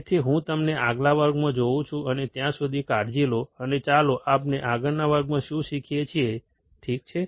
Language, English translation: Gujarati, So, I will see you in the next class, and till then, take care, and let us see what we learn in the next class, alright